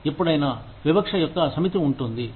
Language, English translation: Telugu, Anytime, there is a set of discrimination